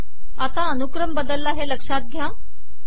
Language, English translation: Marathi, Note that the ordering has changed now